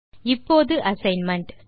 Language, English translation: Tamil, Now to the assignment